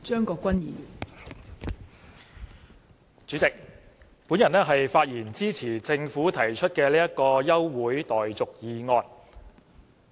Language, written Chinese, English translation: Cantonese, 代理主席，我發言支持政府提出的休會待續議案。, Deputy Chairman I speak in support of the adjournment motion moved by the Government